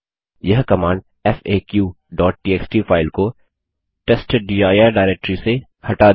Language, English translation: Hindi, This command will remove the file faq.txt from the /testdir directory